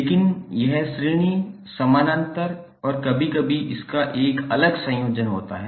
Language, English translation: Hindi, But it is a combination of series, parallel and sometimes it is having a different shape